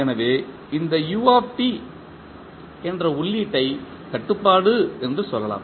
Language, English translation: Tamil, So, let us say this is control is the input that is u t